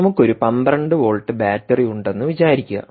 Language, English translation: Malayalam, lets say you have a twelve volt battery source